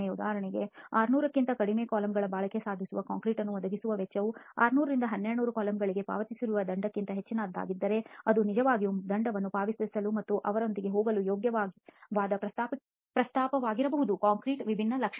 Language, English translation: Kannada, For example if the cost for him to provide concrete that achieves a durability of less than 600 coulombs is much higher than the penalty that it is going to pay for 600 to 1200 coulombs it may be a worthwhile proposition to actually pay the penalty and go with a different characteristic of the concrete